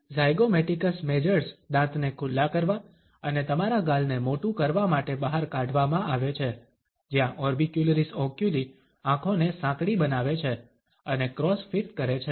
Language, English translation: Gujarati, The zygomaticus majors driven out back to expose the teeth and enlarge your cheeks, where the orbicularis oculi make the eyes narrow and cause cross feet